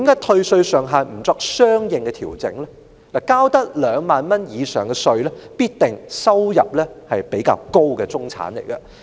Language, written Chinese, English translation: Cantonese, 其實，需要繳交2萬元以上稅項的人，很可能是收入比較高的中產。, Indeed those who have to pay over 20,000 in tax most probably belong to the middle class that earns more